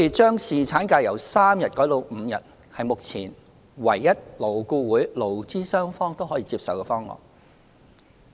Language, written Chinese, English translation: Cantonese, 將侍產假由3天改為5天，是目前勞顧會勞資雙方唯一可以接受的方案。, The proposal to increase paternity leave from three days to five days is the only option acceptable to both the labour and business sectors in LAB